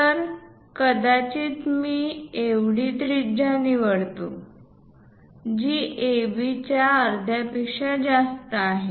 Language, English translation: Marathi, So, perhaps I pick this much radius, which is more than half of AB